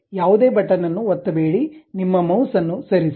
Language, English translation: Kannada, Do not click any button, just move your mouse